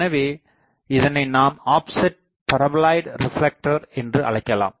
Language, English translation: Tamil, So, this is called offset paraboloid reflector